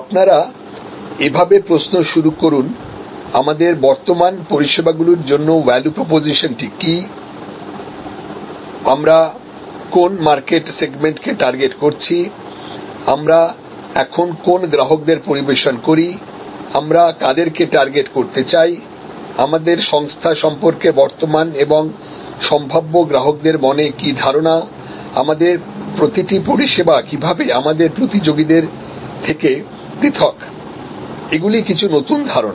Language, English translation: Bengali, Starting with what is the value proposition for our current service products and which market segment we are targeting, what customers we serve now and which ones would we like to target, what does our firm stand for in the minds of the current and potential customers, how does each of our service products differ from our competitors, these are some new ideas